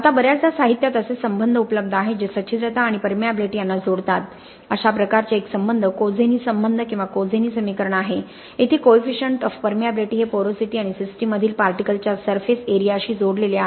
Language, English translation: Marathi, Now very often there are relationships which are available in literature which link the porosity and the permeability, one such relationship is the Kozeny relationship or Kozeny equation, here the coefficient of permeability is linked to the porosity and the specific surface area of the particles which are involved in the system